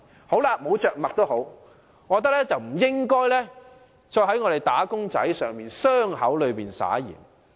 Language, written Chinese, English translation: Cantonese, 沒有着墨也罷，但政府不應在"打工仔"的傷口上灑鹽。, However the Government should not rub salt into the wounds of wage earners